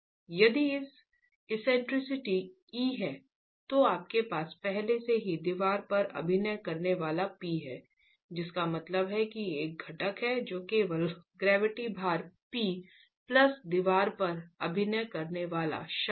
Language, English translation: Hindi, So, if the eccentricity is E, you already have P into E acting in addition to the, P into E acting on the wall, which would mean there is a component that's just the gravity load P plus a moment acting on the wall